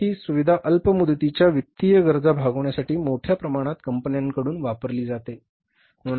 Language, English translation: Marathi, In India also that facility is very, say, largely used by the firms for meeting their short term financial requirements